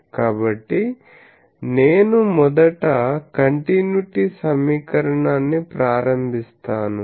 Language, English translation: Telugu, So, I just first invoke the continuity equation